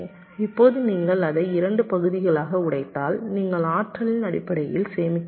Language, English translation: Tamil, ok, this is the idea now if you break it up into two parts, so you basically save in terms of the energy also